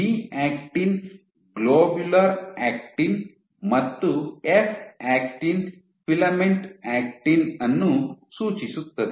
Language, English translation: Kannada, So, G actin stands for globular actin and F actin stands for filament is actin